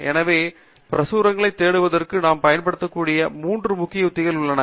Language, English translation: Tamil, So, there are three major strategies that we can use to search literature